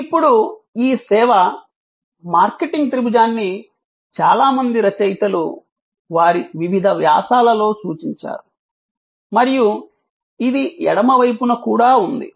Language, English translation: Telugu, Now, this service a marketing triangle has been referred by many authors in their various articles and books, which are on the left hand side